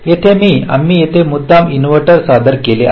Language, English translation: Marathi, some examples here i we have deliberately introduced a inverter